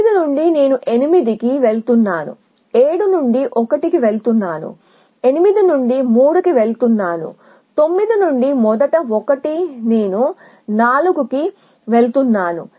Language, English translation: Telugu, From 6 I am going to 8, from 7 I am going to 1, from 8 going to 3 which is the first 1 from 9 I am going to 4